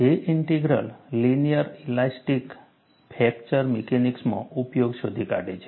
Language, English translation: Gujarati, J Integral finds application in linear elastic fracture mechanics